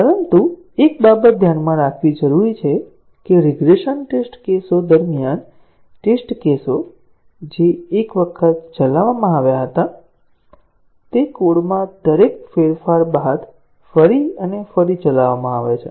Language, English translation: Gujarati, But, one thing that needs to be kept in mind that during regression test cases, the test cases which were run once they are run again and again after each change to the code